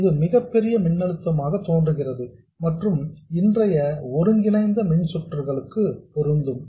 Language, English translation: Tamil, It appears like a very large voltage and it is for present integrated circuits but don't worry about it